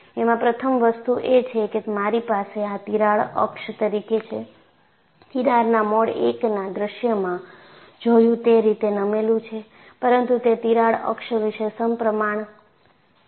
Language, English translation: Gujarati, First thing is, I have this as a crack axis; the fringes are tilted like what we saw in the mode 1 scenario, but they are not symmetrical about the crack axis